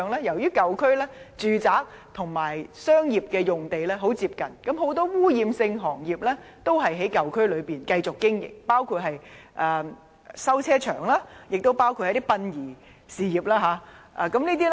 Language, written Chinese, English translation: Cantonese, 由於舊區的住宅和商業用地十分接近，很多污染性行業都在舊區內繼續經營，包括修理汽車場和殯儀事業。, In old districts the residential areas are very close to the commercial areas and many polluting trades such as vehicle maintenance workshops and the funeral business continue to operate there